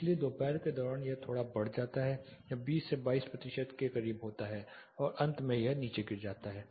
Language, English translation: Hindi, So, it is slightly increases during noon it is close to 20 22 percentage then eventually it drops down